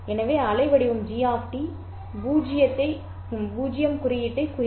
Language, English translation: Tamil, So, this waveform G of T would represent the symbol 0